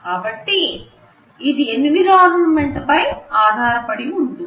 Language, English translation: Telugu, So, it depends on the environment